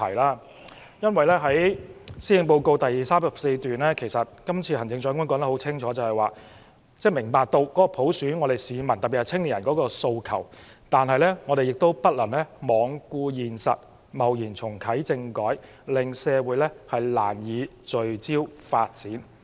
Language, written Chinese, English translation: Cantonese, 行政長官施政報告第34段清楚指出，行政長官明白市民對普選的訴求，但她也不能罔顧現實，貿然重啟政改，令社會難以聚焦發展。, As pointed out clearly in paragraph 34 of the Policy Address the Chief Executive understands the aspirations of the community in particular our young people for universal suffrage . Yet she cannot ignore the reality and rashly embark on political reform again as this will divert the attention of our society from development